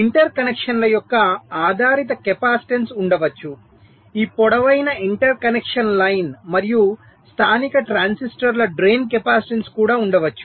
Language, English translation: Telugu, there can be the parasitic capacitance of the interconnects, this long interconnection line, and also the drain capacitance of the local transistors